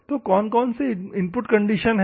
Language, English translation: Hindi, So, what are the input conditions normally